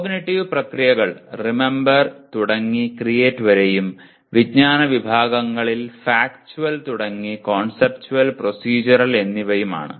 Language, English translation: Malayalam, The cognitive processes are Remember through Create and knowledge categories of Factual, Conceptual, Procedural